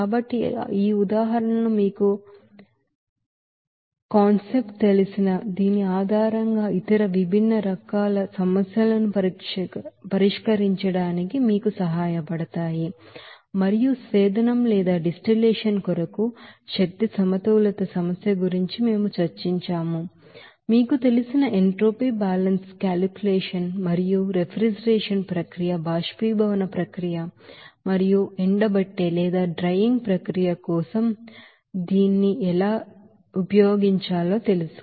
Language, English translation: Telugu, So these examples will help you to solve other different types of problems based on this you know concept and also we have discussed that the problem of energy balance for the distillation, we have described the you know entropy balance calculation and how to do this for you know refrigeration process, how to do this for evaporation process and also this drying process